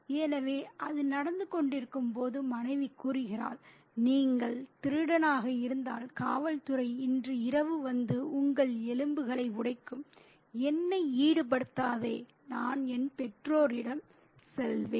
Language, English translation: Tamil, So, while that is happening, the wife, if you have teeped, the police will come tonight and break your bones, don't involve me, I'll go away to my parents